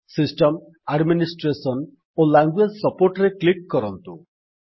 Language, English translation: Odia, Click on System, Administration and Language support